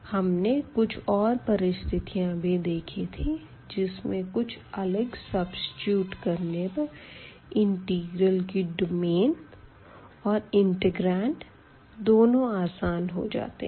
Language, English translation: Hindi, But we have seen the other cases as well where by substituting two different variables makes the domain of the integral easier and also the integrand easier